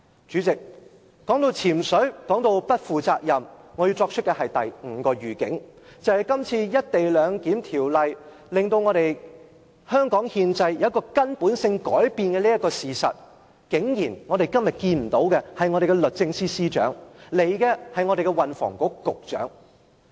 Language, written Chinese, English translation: Cantonese, 主席，談到"潛水"及不負責任，我要作出第五個預警，便是當《條例草案》令香港憲制出現根本性改變時，我們今天在立法會竟然看不到我們的律政司司長出席，前來的只是運房局局長。, President I am going to give the fifth heads - up as we have come to the topic of absence from duty and being irresponsible . While the Bill is going to effect fundamental changes to Hong Kongs constitution it is surprising not to have seen the Secretary for Justice coming to the Legislative Council today only the Secretary for Transport and Housing